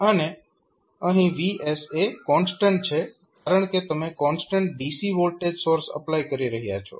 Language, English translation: Gujarati, So, now here vs is constant because you are applying a constant dc voltage source